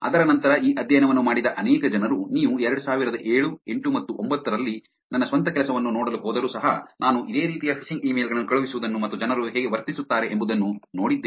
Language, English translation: Kannada, Many people that have done this study after that, even if you go look out my own work in 2007, 8 and 9, I have done similar kind of sending out phishing emails and seeing how people behave